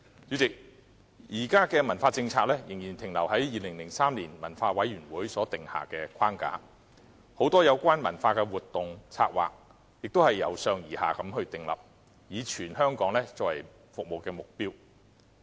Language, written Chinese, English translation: Cantonese, 主席，現時的文化政策仍然停留在2003年文化委員會所訂下的框架，很多有關文化的活動、策劃，也是由上而下地訂立，以全港作為服務的對象。, President the existing cultural policy still remains within the framework laid down by the Culture and Heritage Commission in 2003 . Many culture - related activities and planning are devised top - down with the entire Hong Kong as the service target